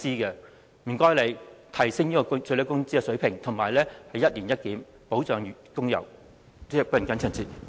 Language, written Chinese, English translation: Cantonese, 請特區政府提升最低工資水平，以及進行一年一檢，保障工友的生活。, Will the SAR Government please raise the minimum wage rate and conduct a review once a year to protect the workers livelihood